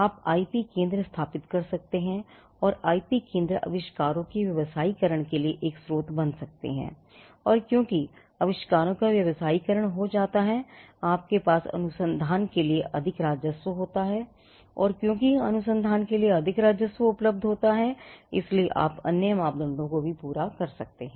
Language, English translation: Hindi, You could set up IP centres and IP centres could become a source for commercializing the inventions and because inventions get commercialized you have more revenue for research and because there is more revenue available for research you could be satisfying other parameters as well